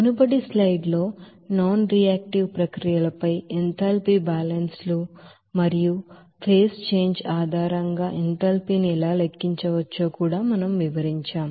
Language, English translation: Telugu, In the previous slides, we have described that enthalpy balances on nonreactive processes and also how enthalpy can be calculated based on the phase change